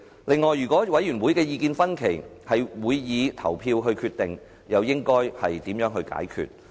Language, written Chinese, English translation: Cantonese, 此外，如果委員會的意見分歧，將會以投票決定，這問題又應該如何解決？, Furthermore in case there are divided views among members and a decision will be made by way of the casting of ballots how should that problem be resolved?